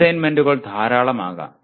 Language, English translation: Malayalam, Assignments can be many